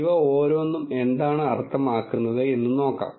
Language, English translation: Malayalam, Let us see what each of this mean